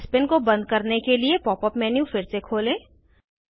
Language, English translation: Hindi, Explore the Spin option in the Pop up menu